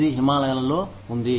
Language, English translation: Telugu, It is up in the Himalayas